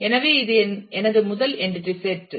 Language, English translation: Tamil, So, this is my first entity set